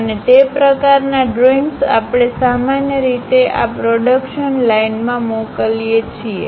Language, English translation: Gujarati, And that kind of drawings usually we circulate across this production line